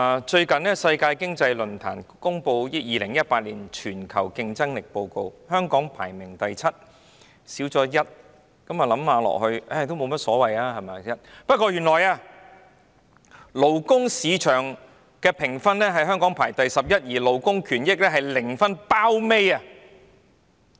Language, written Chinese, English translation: Cantonese, 最近世界經濟論壇公布2018年全球競爭力報告，香港排名第七，倒退1名，想想即使倒退1名也沒有所謂吧，但原來勞工市場的評分中，香港排名第十一，而香港在勞工權益方面是零分，是最後一名。, The World Economic Forum recently announced its Global Competitiveness Report 2018 . Hong Kong has dropped one place to rank seventh . We may think that one place lower does not quite matter but Hong Kong actually ranks eleventh if we look at the score on our labour market efficiency and we score zero the last on the list in terms of labour rights